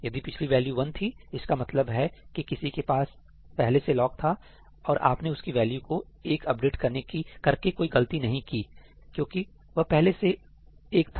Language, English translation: Hindi, If the previous was 1; that means, somebody already had the lock and you have not done anything wrong by updating it to 1 because it was already 1